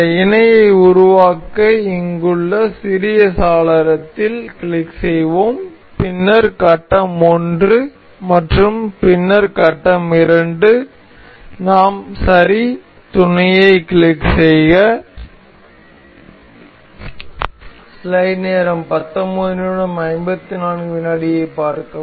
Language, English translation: Tamil, To make this parallel we will click on the small window here, then the phase 1 and then the phase 2, we click on ok, finish mate